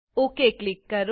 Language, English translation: Gujarati, and Click OK